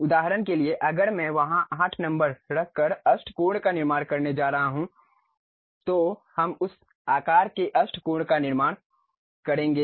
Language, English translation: Hindi, For example, if I am going to construct octagon by keeping 8 number there, we will construct octagon of that size